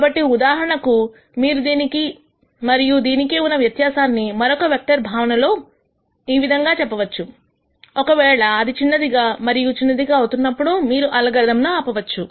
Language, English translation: Telugu, So, for example, you could say the difference between this and this, in a vector of different sense, if that is becoming smaller and smaller then you might stop your algorithm